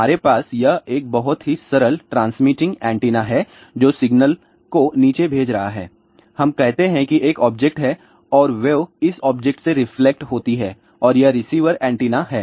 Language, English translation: Hindi, In a very simple manner what we have here this is a transmitting antenna which is sending the signal down and the let us say there is an objects and the wave gets reflected from this particular object and this is the receiver antenna